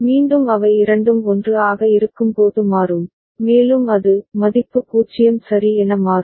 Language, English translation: Tamil, Again it will change when both of them are 1, and it will value will change to 0 ok